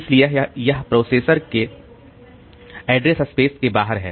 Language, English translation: Hindi, So, it is outside the address space of the process